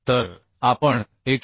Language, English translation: Marathi, 2 so we can find out 124